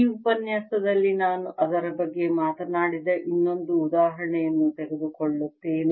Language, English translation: Kannada, in this lecture i will take another example which we talked about